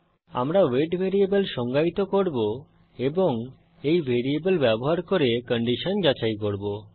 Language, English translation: Bengali, We shall define a variable weight and check for a condition using that variable